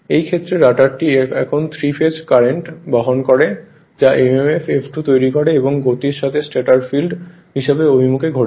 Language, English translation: Bengali, In this case the rotor now carries three phase currents creating the mmf F2 rotating in the same direction and with the same speed as the stator field